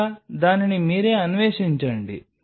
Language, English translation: Telugu, Or you explore it by yourself